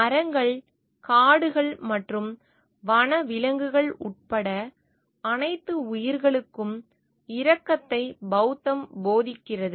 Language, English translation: Tamil, Buddhism teaches compassion for all life including trees, forest and wildlife